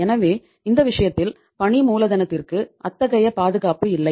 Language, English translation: Tamil, So in this case the working capital there is no security as such